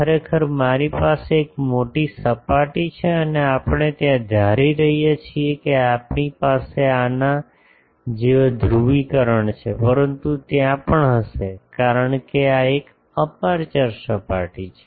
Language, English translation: Gujarati, Actually I have a large surface and there we are assuming that we are having a suppose polarisation like these, but there will be also because this is an aperture surface